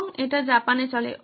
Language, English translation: Bengali, And it runs in Japan